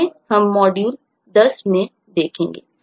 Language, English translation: Hindi, that will be in module 10